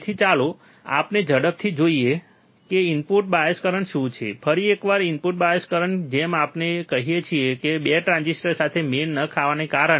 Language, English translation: Gujarati, So, let us quickly see what is what is the input bias current, once again input bias current like we say is due to non matching of 2 transistors